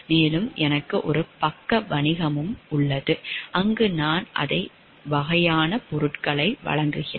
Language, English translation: Tamil, And I am also having a side business where I also supply the same kind of things